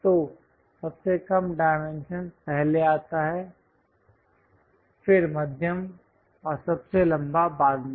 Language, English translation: Hindi, So, lowest dimension first comes then followed by medium and longest one